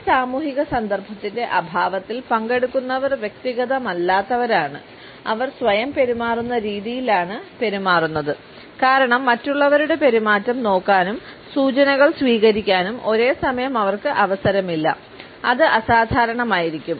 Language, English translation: Malayalam, In the absence of this social context, participants are de individualized and they tend to behave in ways which are rather self obsessed because they do not have the opportunity to look at the behaviour of others and receiving the cues and at the same time it can be aberrant